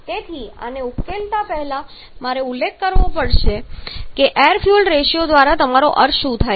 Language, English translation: Gujarati, So, before solving this I have to mention what do you mean by air fuel ratio